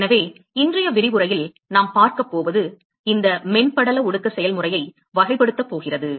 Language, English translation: Tamil, So, what we are going to see in today's lecture is going to characterize this film condensation process